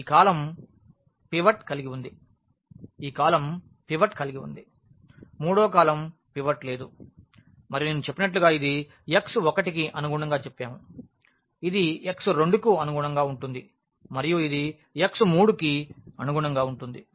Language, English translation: Telugu, So, this column has the pivot this column has a pivot the third column does not have a pivot and as I said this we say this corresponding to x 1, this is corresponding to x 2 and this is corresponding to x 3